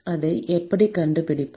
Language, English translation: Tamil, How do we find this